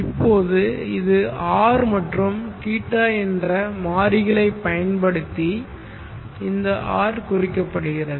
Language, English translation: Tamil, Now this is the representation of this are using the variables R and